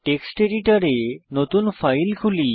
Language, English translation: Bengali, Let us open a new file in the Text Editor